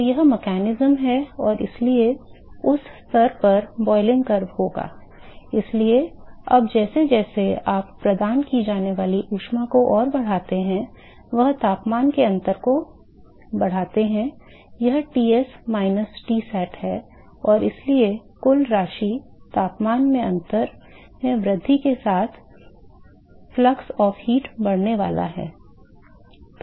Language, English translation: Hindi, So, that is the mechanism and so, the boiling curve at that stage would beů So, now, as you further increase the heat that is provided so, you increase the temperature difference this is Ts minus Tsat and therefore, the net amount the flux of heat that is carried is going to increase with increase in the temperature difference